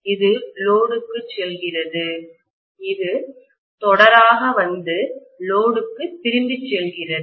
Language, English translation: Tamil, This is going to the load, this will come in series and go back to the load